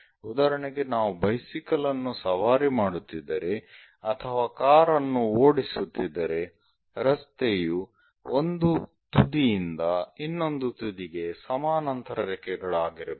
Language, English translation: Kannada, For example, if we are riding a bicycle or driving a car, the road is supposed to be a parallel lines from one end to other end